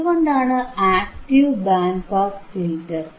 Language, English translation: Malayalam, Why active band pass filter